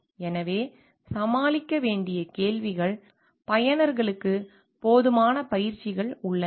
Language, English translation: Tamil, So, there the questions which needs to be tackled is to the users get enough trainings